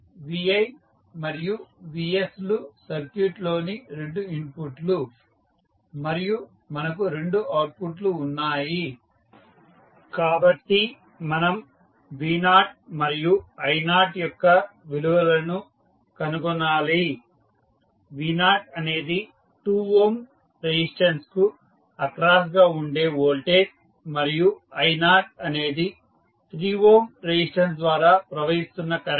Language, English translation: Telugu, vs and vi are the two inputs in the circuit and we have two outputs so we need to find the value of v naught and i naught, v naught is the voltage across 2 ohm resistance and i naught is the current following through the 3 ohm resistance